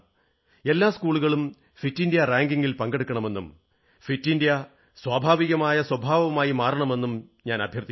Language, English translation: Malayalam, I appeal that all schools should enroll in the Fit India ranking system and Fit India should become innate to our temperament